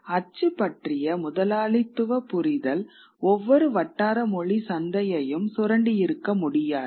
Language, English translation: Tamil, The capitalist understanding of print could not have exploited each potential vernacular market